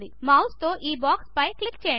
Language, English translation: Telugu, Click on this box with the mouse